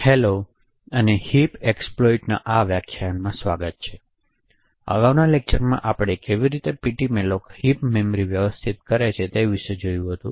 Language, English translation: Gujarati, Hello and welcome to this lecture on heap exploits, so in the previous lecture we had looked at some of the internals about how ptmalloc manages the heap memory